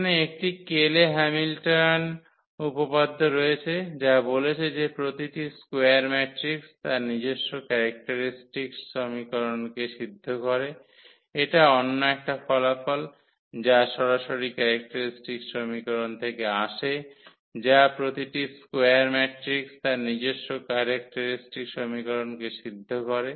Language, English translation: Bengali, So, there is a Cayley Hamilton theorem which says that every square matrix satisfy its own characteristic equation, that is another result which directly coming from the characteristic equation that every square matrix satisfies its own characteristic equation